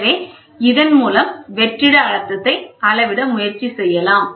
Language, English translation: Tamil, So, with this we can try to measure the vacuum pressure